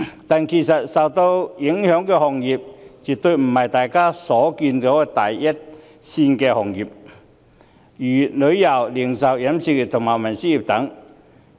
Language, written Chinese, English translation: Cantonese, 但是，受影響的行業，絕對不只是大家所見的第一線行業，如旅遊、零售、飲食和運輸業等。, But then the affected industries definitely are not confined to the first things which come to our mind such as the tourism retail catering transportation industries and so on